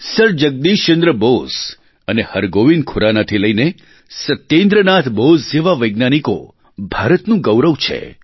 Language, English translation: Gujarati, Right from Sir Jagdish Chandra Bose and Hargobind Khurana to Satyendranath Bose have brought laurels to India